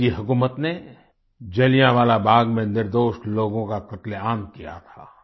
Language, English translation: Hindi, The British rulers had slaughtered innocent civilians at Jallianwala Bagh